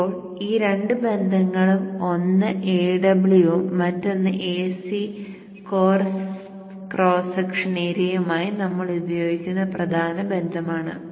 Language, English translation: Malayalam, Now these two relationships, one with AW and the AC core cross section area are the core relationships that we will use